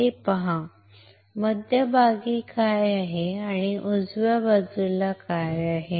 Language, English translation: Marathi, Look at this, what is in the centre and what is in the right side